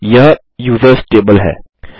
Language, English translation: Hindi, This is the users table